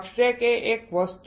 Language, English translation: Gujarati, Substrate it is one thing